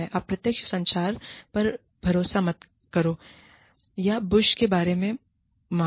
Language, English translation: Hindi, Do not rely on indirect communication, or beat about the bush